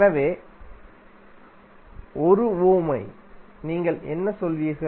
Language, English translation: Tamil, So for 1 Ohm, what you will say